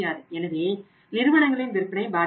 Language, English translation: Tamil, So, that means sales of the companies are affected